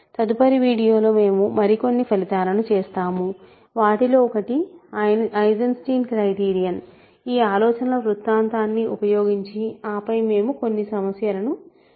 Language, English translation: Telugu, In the next video, we will do some more results; one of them being Eisenstein criterion using this circle of ideas and then we will do some problems